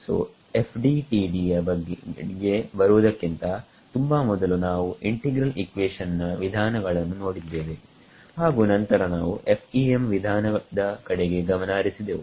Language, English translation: Kannada, So, far before we came to FDTD was we looked at integral equation methods and then we looked at FEM methods